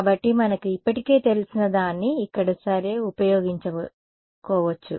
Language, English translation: Telugu, So, we can use something that we already know towards over here ok